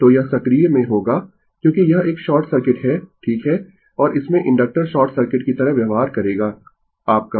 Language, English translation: Hindi, So, this will be in active because it is a short circuit right and in that case you have to your inductor will behave like a short circuit ah your